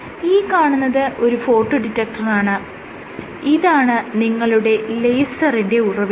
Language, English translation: Malayalam, So, this is a photo detector and this is your laser source